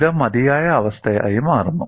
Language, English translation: Malayalam, This becomes a sufficient condition